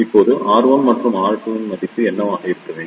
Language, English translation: Tamil, Now, what should be the value of R 1 and R 2